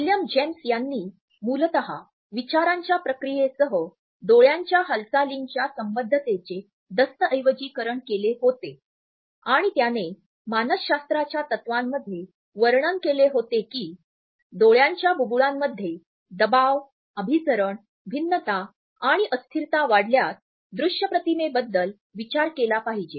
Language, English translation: Marathi, William James had originally documented the association of eye movements with the thought processes and he had described in principles of psychology that merely thinking about a visual image caused if fluctuating play of pressures, convergences, divergences and accommodations in eyeballs